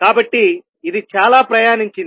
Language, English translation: Telugu, So, it has traveled that much